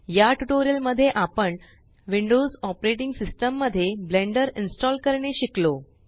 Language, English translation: Marathi, So in this tutorial, we have learnt how to install Blender on a Windows operating system